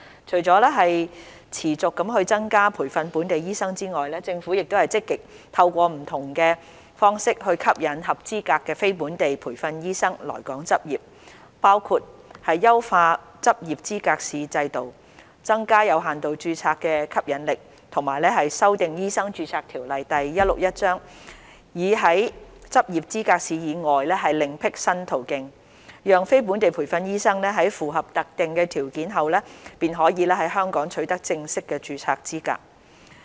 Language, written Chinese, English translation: Cantonese, 除了持續增加培訓本地醫生外，政府亦積極透過不同方式吸引合資格的非本地培訓醫生來港執業，包括優化執業資格試制度、增加有限度註冊的吸引力，以及修訂《醫生註冊條例》，以在執業資格試以外另闢新途徑，讓非本地培訓醫生在符合特定條件後，便可在香港取得正式註冊資格。, Apart from continuously increasing the number of locally - trained doctors the Government has also been actively seeking to attract qualified non - locally trained doctors to practise in Hong Kong through various means including improving the arrangements for the Licensing Examination LE enhancing the attractiveness of limited registration and amending the Medical Registration Ordinance Cap